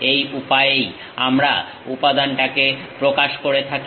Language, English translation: Bengali, This is the way we represent the material